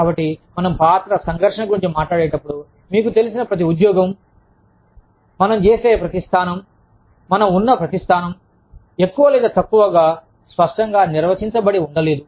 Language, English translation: Telugu, So, when we talk about, role conflict, we, you know, every job, that we do, every position, that we are in, has a more or less, clearly defined role, that describes this position